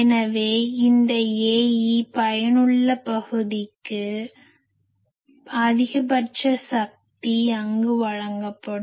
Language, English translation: Tamil, So, this A e effective area obviously, maximum power will be delivered there